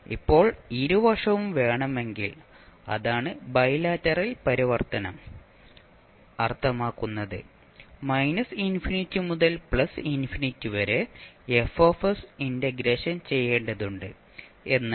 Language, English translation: Malayalam, Now if you want both sides that is bilateral transform means you have to integrate Fs from minus infinity to plus infinity